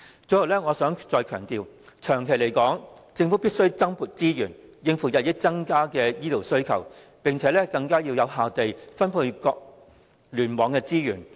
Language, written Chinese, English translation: Cantonese, 最後，我想再次強調，長遠而言，政府必須增撥資源，以應付日益增加的醫療需求，並更有效地分配各聯網的資源。, In closing I wish to emphasize again that in the long term the Government must allocate additional resources to cope with the increasing demand for healthcare and allocate the resources to various clusters more effectively